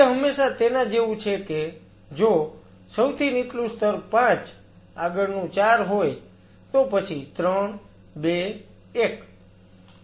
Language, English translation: Gujarati, It is always like if the lowermost layer is 5 next is 4 then 3 2 1